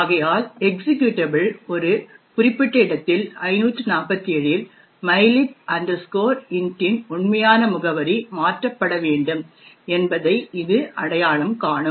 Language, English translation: Tamil, So, therefore it would identify that at locations, this particular location 547 in the executable the actual address of mylib int should be replaced